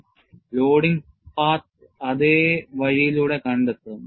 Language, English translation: Malayalam, The unloading path will trace back, the same way